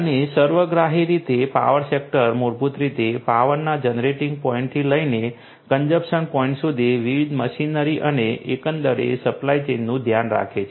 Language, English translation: Gujarati, And holistically the power sector you know which basically takes care of different different machinery and the supply chain overall from the generating point of the power to the consumption point